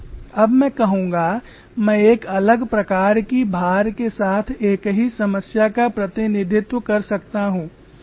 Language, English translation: Hindi, I can also represent the same problem with a different type of loading